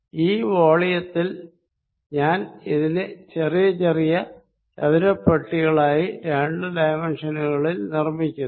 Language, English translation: Malayalam, In this volume I divide this volume into very small rectangular boxes very, very small I am making into two dimensions